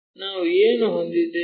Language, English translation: Kannada, What we will have